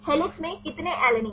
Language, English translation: Hindi, How many alanine in helix